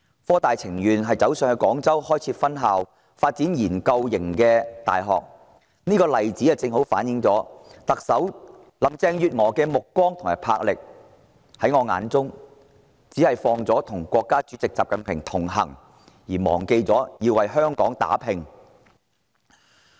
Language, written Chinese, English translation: Cantonese, 科大寧可北上到廣州開設分校，發展研究型的大學，這例子正好揭示特首林鄭月娥的目光和魄力；在我心目中，她只着眼於與國家主席習近平同行，卻忘了為香港打拼。, The fact that HKUST would rather head north setting up a campus in Guangzhou and developing a research university there says volumes about Chief Executive Carrie LAMs vision and boldness . In my opinion she focuses on nothing but connecting with President XI Jinping forgetting her fight for Hong Kong